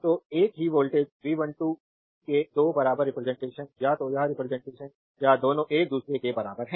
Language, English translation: Hindi, So, 2 equivalent representation of the same voltage V 1 2 either this representation or that representation both are equivalent to each other right